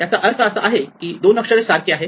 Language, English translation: Marathi, So, these two letters are the same